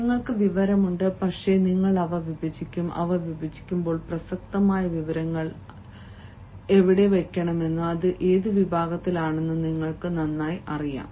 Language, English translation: Malayalam, you have the information, but you will divide them and while dividing them, you know better where to put the relevant information and in which section